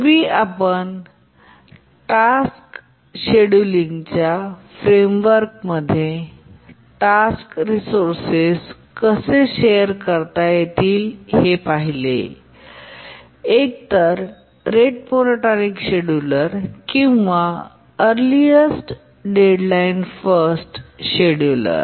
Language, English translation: Marathi, In the last lecture, we are looking at how resources can be shared among tasks in the framework of tasks scheduling may be a rate monotonic scheduler or an earliest deadline first scheduler